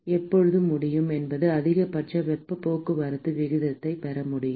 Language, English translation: Tamil, when can when can we get maximum heat transport rate